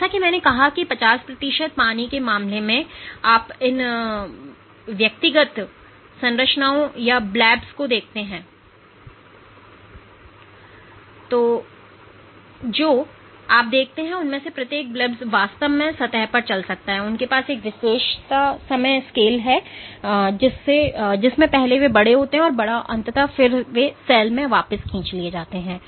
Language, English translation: Hindi, So for the case of 50 percent water as I said so, you can look at these individual structures or blebs, what you see is each of these blebs can actually traverse on the surface and they have a characteristic time scale in which the first they grow bigger and bigger and eventually they are again pulled back into the cell